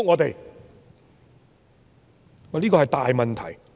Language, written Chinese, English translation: Cantonese, 這是一個大問題。, That is a big problem